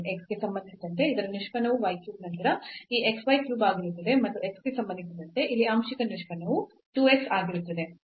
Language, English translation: Kannada, So, the derivative of this with respect to x will be y cube then minus this x y cube and the partial derivative here with respect to x this will be 2 x